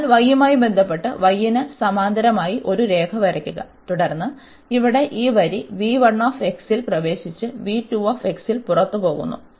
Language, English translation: Malayalam, So, of with respect to y draw a line this parallel to y and then we see that this line here enters at this v 1 x and go out at v 2 x